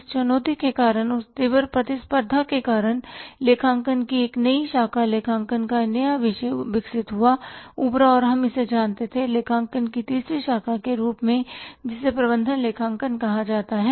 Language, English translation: Hindi, Because of these challenges, because of this intensified competition a new branch of accounting a new discipline of accounting was developed emerged and we knew it the third branch of accounting called as management accounting